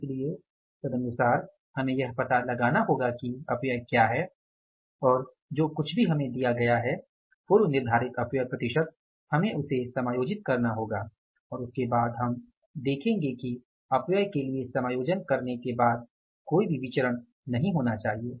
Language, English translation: Hindi, So, and accordingly we will have to find out that what is the wastage and whatever it is given to us the percentage, pre decided percentage of the waste age we have to adjust that wastage and after that we will see that even after providing the allowances for the wastage there should not be any variance